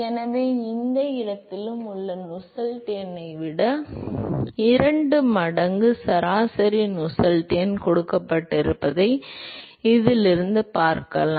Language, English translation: Tamil, So, from this you can see that the average Nusselt number, till any location is given by twice that of the local Nusselt number